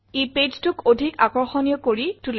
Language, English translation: Assamese, This makes the page look more attractive